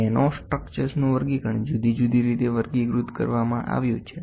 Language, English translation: Gujarati, Classification of nanostructures nanostructures are classified in different ways